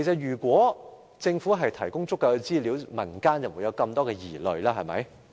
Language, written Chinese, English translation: Cantonese, 如果政府已提供足夠資料，民間就不會有這麼多疑慮。, If the Government had already provided sufficient information the public would not have been so suspicious